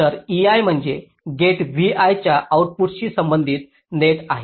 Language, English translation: Marathi, so e i is the net corresponding to the output of gate v i, right